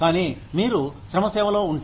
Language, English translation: Telugu, But, if you are in the service industry